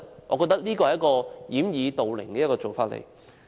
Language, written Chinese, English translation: Cantonese, 我覺得這是一種掩耳盜鈴的做法。, I think such an act is like plugging ones ears when stealing a bell